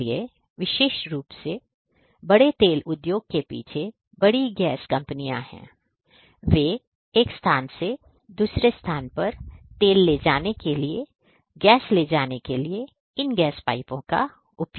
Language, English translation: Hindi, So, particularly the big oil industry is the back big gas companies, they deploy these gas pipes for carrying the gas for carrying oil from one point to another